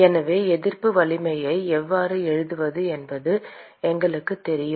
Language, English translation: Tamil, So we know how to write resistance network